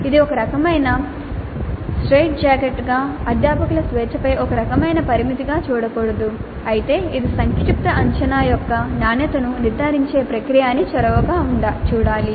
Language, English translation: Telugu, So, it should not be seen as a kind of a straight jacket or as a kind of a restriction on the freedom of the faculty but it should be seen as a process initiative to ensure quality of the summative assessment